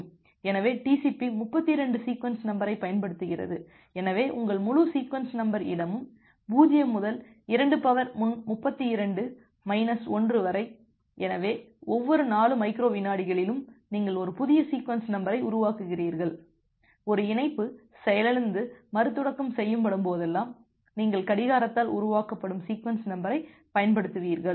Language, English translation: Tamil, So, you remember that TCP uses a 32 sequence number, so your entire sequence number space is 0 to 2 to the power 32 to minus 1; so that means, at every 4 microseconds you are generating a new sequence number and whenever a connection crashes and get restarted then you will use the sequence number which is being generated by the clock